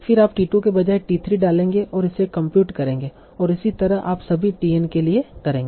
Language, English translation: Hindi, Then you will instead of t 2 you will put t3 and compute it and so on you will do for all that TN